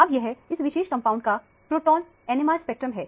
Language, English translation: Hindi, So, this particular skeleton is consistent with the proton NMR spectrum